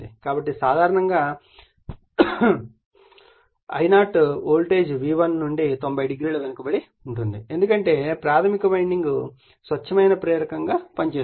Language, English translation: Telugu, So, generally that your therefore, the I0 is lagging from the voltage V1 / 90 degree, it is because that primary winding is acting as a pure inductor right